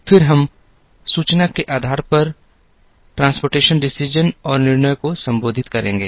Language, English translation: Hindi, We would then address transportation decisions and decisions based on information